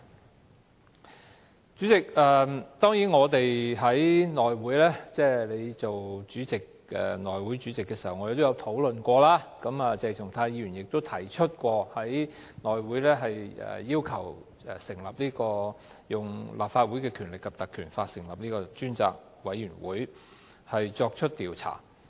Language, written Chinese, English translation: Cantonese, 代理主席，我們在由你出任主席的內務委員會會議上亦曾討論此事，而鄭松泰議員亦有要求根據《立法會條例》成立專責委員會作出調查。, Deputy President the matter was discussed at the meeting of the House Committee under your chairmanship during which Dr CHENG Chung - tai also requested the appointment of a select committee under the Legislative Council Ordinance to inquire into the matter